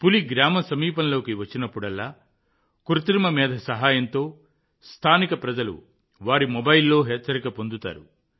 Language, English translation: Telugu, Whenever a tiger comes near a village; with the help of AI, local people get an alert on their mobile